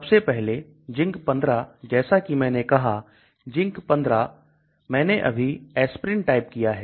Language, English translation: Hindi, The first one is you ZINC15 as I said the ZINC15 I just typed in aspirin